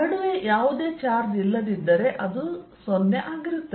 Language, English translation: Kannada, if there is no charge in between, then this is going to be a zero